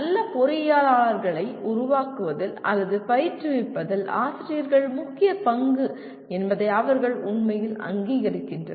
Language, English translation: Tamil, They really recognize that the crucial role of faculty in making or leading to training good engineers